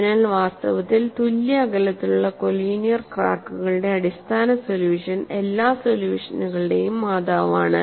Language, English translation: Malayalam, So, in fact the base solution of evenly spaced collinear cracks is the mother of all solutions